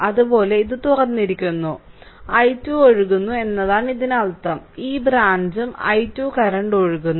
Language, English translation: Malayalam, Similarly this is open so, i 2 is flowing that means, this branch also i 2 current is flowing right